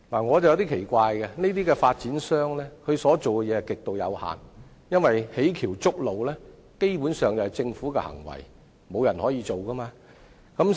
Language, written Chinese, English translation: Cantonese, 我對此感到奇怪，發展商所做的事情極為有限，因為建橋築路基本上是政府的行為，沒有人可以做到。, I find this strange as what the developers can do is very limited . The construction of bridges and roads is basically the work of no one but the Government